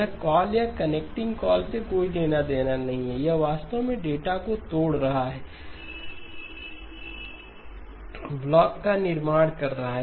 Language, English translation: Hindi, This has not nothing to do with calls or connecting calls, this is actually breaking up data, creation of blocks